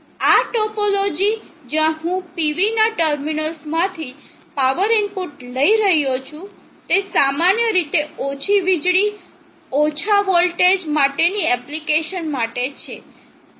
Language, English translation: Gujarati, This topology where I am taking the power input from the terminals of the PV is generally for low power, low voltage, for low voltage king of an application